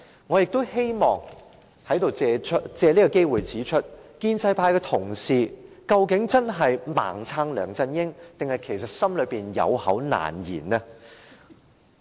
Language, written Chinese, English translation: Cantonese, 我也希望借此機會問一問，究竟建制派同事真是"盲撐"梁振英，還是有口難言？, May I also take this chance to ask whether the pro - establishment Members genuinely support LEUNG blindly or they dare not say anything?